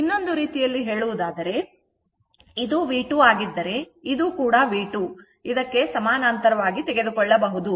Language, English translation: Kannada, In other way in other way, if you do this is V 2 , and this is also this one also you can take V 2 this parallel to this, right